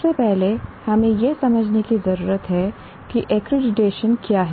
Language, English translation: Hindi, First of all, we need to understand what is accreditation